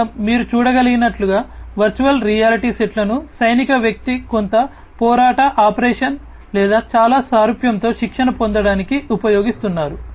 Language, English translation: Telugu, Here as you can see over here virtual reality sets are being used by a military person to, you know, to get trained with some combat operation or something very similar